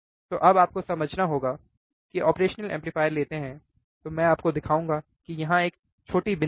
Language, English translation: Hindi, So now you have to understand when you take operational amplifier, when you take an operational amplifier, I will show it to you here